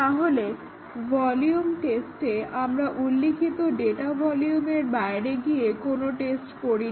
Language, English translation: Bengali, So, volume testing; we do not test beyond what is specified data volume